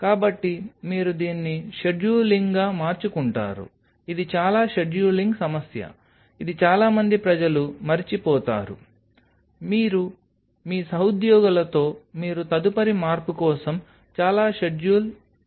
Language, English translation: Telugu, So, you make it a scheduling, it is a very scheduling problem which most of the people forget you have to do a lot of a scheduling with your colleagues that you next change